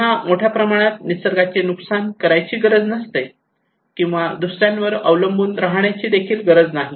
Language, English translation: Marathi, They do not need to exploit the nature at tremendously or do not need to depend on others okay